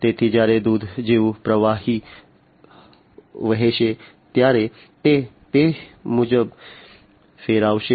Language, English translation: Gujarati, So, when some fluid such as milk will flow then it is going to rotate accordingly